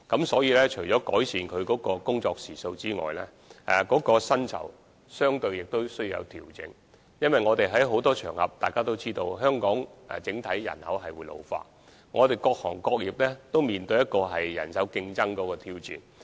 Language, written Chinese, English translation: Cantonese, 所以，除了改善他們的工作時數外，薪酬亦相對需要作出調整，正如我們在很多場合均已提出，而大家也知道，香港整體人口將會老化，各行各業在人手方面也面對競爭和挑戰。, In this connection apart from improving their working hours there is also a need to make adjustments to their salaries accordingly . As we have said on many occasions and as Members know with an overall ageing population envisaged in Hong Kong manpower in various trades and industries is set to face competition and challenges